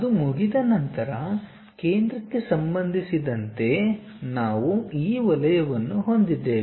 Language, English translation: Kannada, Once that is done, with respect to center we have this circle